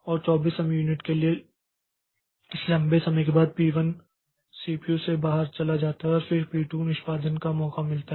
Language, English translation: Hindi, And after this a long time of 24 time units, so P1 goes out of CPU then P2 gets a chance for execution